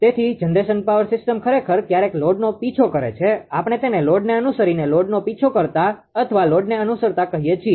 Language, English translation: Gujarati, So, generation actually power system actually chases the load right sometimes, we call it is a load following generator chasing the load or following the load